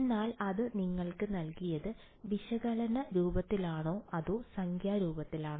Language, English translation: Malayalam, But it gave it to you in analytical form or numerical form